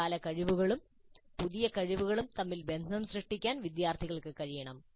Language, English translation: Malayalam, Students must be able to form links between prior competencies and the new competency